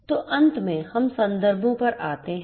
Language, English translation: Hindi, So, finally, we come to the references